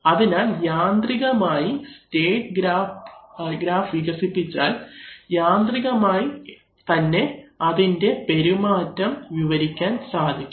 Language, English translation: Malayalam, So you see that mechanically once we have developed the state graph we can simply mechanically describe its behavior